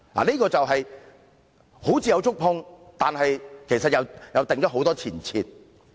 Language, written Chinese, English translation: Cantonese, 雖然政府願意觸碰一些"傷口"，但有很多前設。, Although the Government is willing to touch on some wounds many preconditions have been set